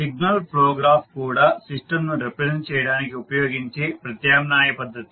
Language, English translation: Telugu, So, Signal Flow Graphs are also an alternative system representation